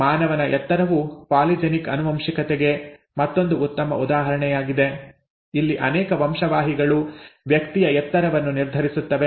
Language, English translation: Kannada, The human height is again a good example of polygenic inheritance where multiple genes determine the height of person